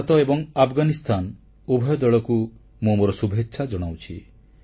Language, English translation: Odia, I felicitate both the teams of India & Afghanistan